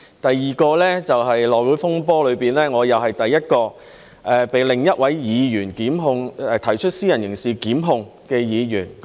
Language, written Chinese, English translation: Cantonese, 第二件事就是內會風波中，我又是第一位被另一位議員提出私人刑事檢控的議員。, The second fact was that during the House Committee saga I was again the first Member to face a private prosecution initiated by another Member